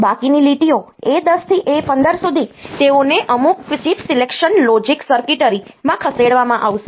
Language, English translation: Gujarati, The remaining lines a 10 to A 15 they will be fed to some chip selection logic circuitry